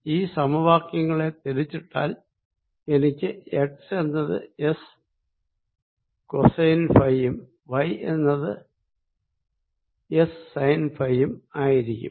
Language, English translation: Malayalam, by inverting these equations i can also write x as equal to s, cosine of phi, and y is sine s, sine of phi